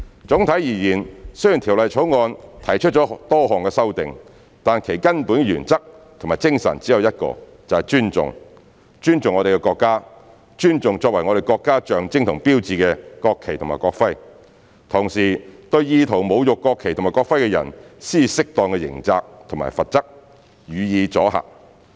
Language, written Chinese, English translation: Cantonese, 總體而言，雖然《條例草案》提出了多項修訂，但其根本原則及精神只有一個，就是"尊重"，尊重我們的國家、尊重作為我們國家象徵和標誌的國旗及國徽，同時對意圖侮辱國旗及國徽的人施以適當的刑責和罰則，予以阻嚇。, Overall speaking although the Bill consists of a number of amendments the only fundamental principle and spirit is respect that is respect our country and respect the national flag and national emblem as the symbols and signs of our country . For those with an intent to insult the national flag and national emblem appropriate criminal liability and penalties should be imposed to deter such behaviours